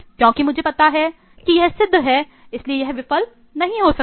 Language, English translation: Hindi, Because I know this is a proven one so this will not fail